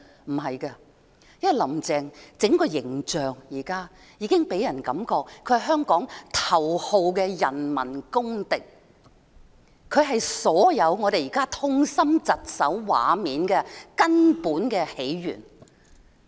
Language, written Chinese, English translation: Cantonese, 不是的，因為"林鄭"現時的整個形象予人感覺，她是香港頭號的人民公敵，她是所有現時我們看到的痛心疾首畫面的根本起源。, No because Carrie LAMs whole image now feels like the number one public enemy of Hong Kong . She is the root cause of all the heart - wrenching scenes we see at present